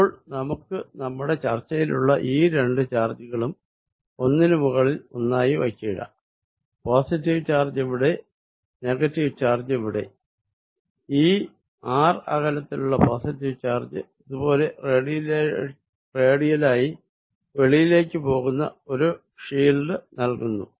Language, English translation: Malayalam, Now, let us superimpose these two charges that we were talking about, here is the positive charge, here is the negative charge, positive charge at this distance r gives me a field which is going like this radially out